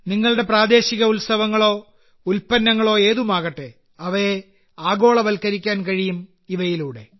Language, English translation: Malayalam, Be it your local festivals or products, you can make them global through them as well